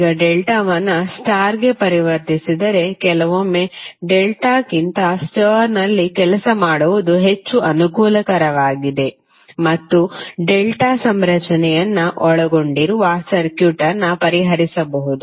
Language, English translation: Kannada, Now if you convert delta to star then sometimes it is more convenient to work in star than in delta and you can solve the circuit which contain delta configuration